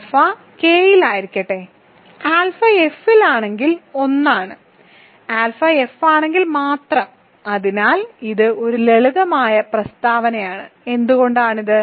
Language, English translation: Malayalam, Let alpha be in K the degree of alpha over F is 1 if and only if alpha is in F, so this is a simple statement why is this